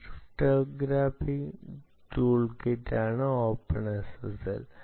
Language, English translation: Malayalam, openssl is a crypto, cryptographic toolkit